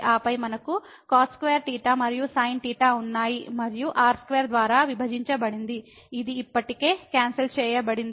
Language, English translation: Telugu, And then, we have cos square theta and sin theta and divided by square which is already cancelled